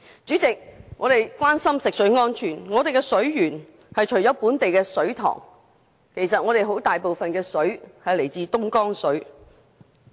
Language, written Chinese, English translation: Cantonese, 主席，我們關心食水安全，香港的水源除來自本地水塘外，其實有很大部分是來自東江水。, President we are concerned about water safety and this leads us to the fact that besides local reservoirs Dongjiang River water is the major source of our water